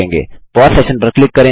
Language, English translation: Hindi, Click pause session